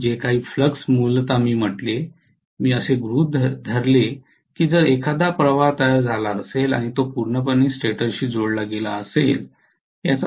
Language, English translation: Marathi, And whatever flux originally I said I assumed that IF created a flux and it was linking completely with the stator